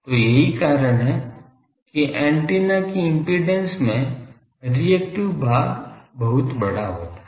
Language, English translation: Hindi, So, that shows as the impedance of the antenna is has a large reactive part